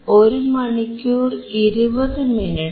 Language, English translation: Malayalam, And it is about 1hour 20 minutes